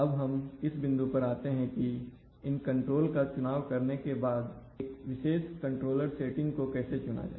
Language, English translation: Hindi, Now we come to the, if having selected these, this controller settings, these controller types, how do we select a particular controller setting